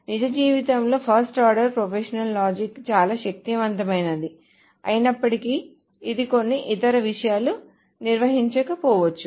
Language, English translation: Telugu, Although fast order propositional logic is actually very powerful real life, it may not handle certain other kinds of things